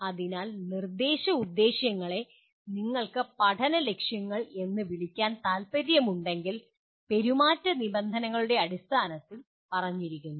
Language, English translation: Malayalam, So instructional objectives are learning objectives if you want to call so are stated in terms of behavioral terms